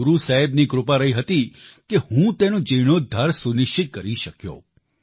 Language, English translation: Gujarati, It was the blessings of Guru Sahib that I was able to ensure its restoration